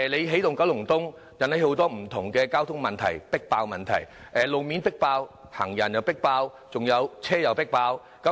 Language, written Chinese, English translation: Cantonese, 起動九龍東引起很多不同的交通迫爆問題：路面迫爆、行人迫爆、還有車輛也迫爆。, Energizing Kowloon East has led to a host of traffic capacity problems road congestion pedestrian overcrowding and vehicle overloading